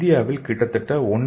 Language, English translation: Tamil, So in India almost 1